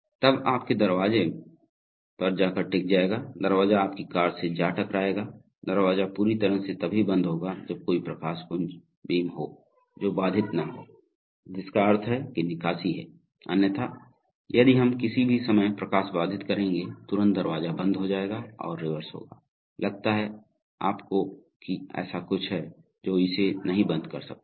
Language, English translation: Hindi, Then the door will go and hit your, the door will go and hit your car, so the door will close fully only if there is a light beam which is not interrupted, which means that there is clearance otherwise that, if the light we will interrupt at any time, immediately the door will stop and reverse, so you think that there is something it cannot close it